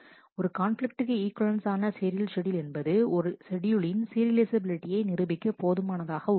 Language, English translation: Tamil, One conflict equivalent serial schedule is enough to prove the serializability of a schedule